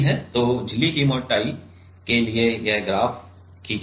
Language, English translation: Hindi, So, this graph are drawn for this membrane thickens